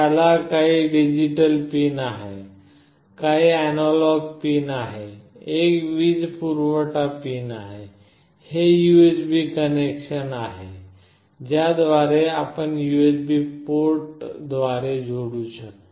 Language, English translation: Marathi, It has got some digital pins, some analog pins, there is a power, this is the USB connection through which you can connect through USB port